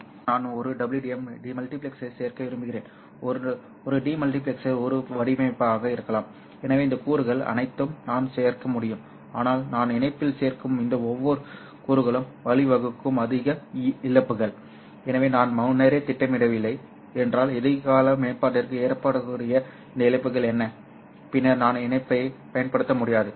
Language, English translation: Tamil, Maybe I also want to include a WDM multiplexer maybe a demultiplexer maybe a filter so I can include all these components but each of those components that I include in the link will give rise to more losses so if I don't plan ahead so what are these losses that might happen for the future upgrade then I will not be able to use the link later on